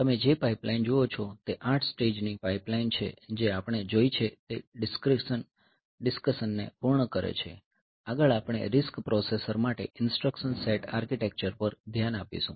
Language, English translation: Gujarati, seen that completes the pipeline discussion, next we will look into the instruction set architecture for the RISC processor